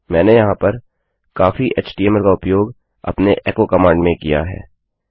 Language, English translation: Hindi, I used a lot of html embedded in our echo command here